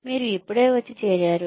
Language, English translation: Telugu, You just come, you join